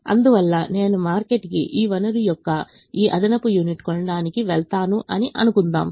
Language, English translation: Telugu, therefore, let's assume i go to the market to buy this extra unit of this resource